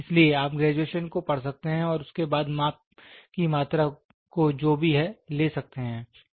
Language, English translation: Hindi, So, you can read the graduations and then try to quantify the measurements whatever it is